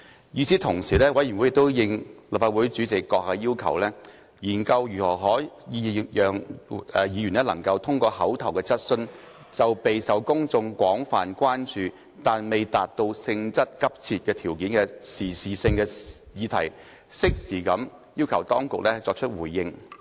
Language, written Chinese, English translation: Cantonese, 與此同時，委員會亦應立法會主席閣下的要求，研究如何可讓議員能通過口頭質詢，就備受公眾廣泛關注但未達到性質急切條件的時事性議題，適時地要求政府當局作出回應。, Moreover President at your request the Committee also studied ways to through oral questions timely request responses from the Government on topical issues which are of widespread public concerns but have not yet met the conditions required of an urgent question